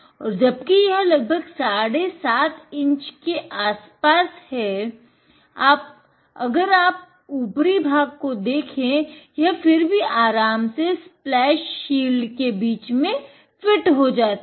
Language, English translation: Hindi, And, even though it is about approximately 7 half inches across here, if you look through the top, it still comfortably fits in between the splash shield